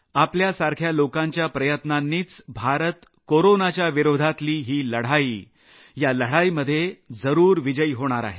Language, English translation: Marathi, Due to efforts of people like you, India will surely achieve victory in the battle against Corona